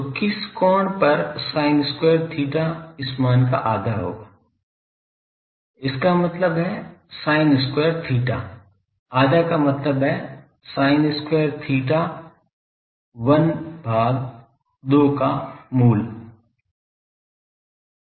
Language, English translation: Hindi, So, at which angle sin square theta will be half of this value ; that means, sin square theta , half means sin theta 1 by root 2